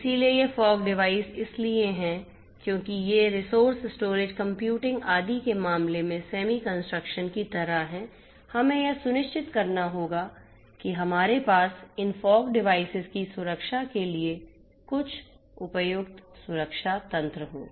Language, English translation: Hindi, So, these fog devices because they are also like semi constrained in terms of resources storage computing etcetera will have to ensure that we have some you know suitable protection mechanisms in place for protecting these fog devices